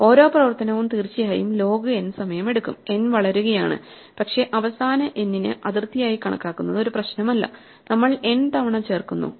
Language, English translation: Malayalam, Each operation takes log n time of course, n will be growing, but it does not matter if we take the final n as an upper bound we do n inserts each just log n and we can build this heap in order n log n time